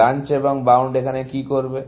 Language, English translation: Bengali, What will Branch and Bound do